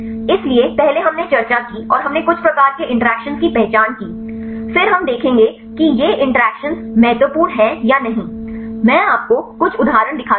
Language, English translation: Hindi, So, earlier we discussed and we identified some type of interactions then we will see whether these interactions are important or not, I show of you few examples